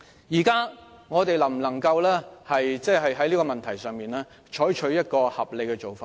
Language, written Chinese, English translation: Cantonese, 現在我們能否在這個問題上採取合理的做法？, Concerning this problem can we adopt a reasonable approach?